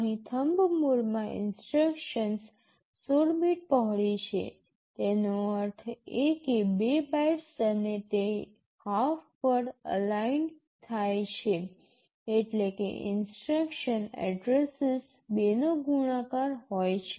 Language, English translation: Gujarati, Here in the Thumb mode, the instructions are 16 bit wide; that means, 2 bytes and they are half word aligned means the instruction addresses are multiple of 2